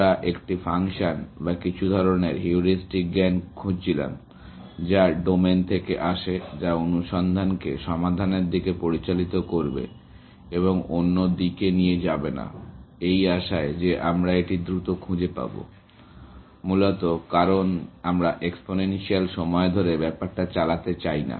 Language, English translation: Bengali, We were looking for a function or some kind of heuristic knowledge, which comes from the domain, which will guide the search towards the solution, and not go off in other directions, in the hope that we will find it faster, essentially, because we do not want to run into exponential times